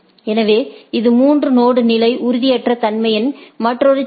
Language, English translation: Tamil, So, this is another problem of three node level instability right